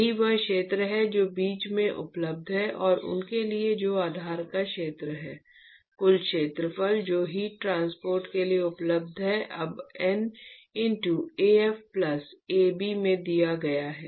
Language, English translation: Hindi, That is the area which is available in between and for those that is the area of the base, the total area which is available for heat transport is now given by N into Af plus Ab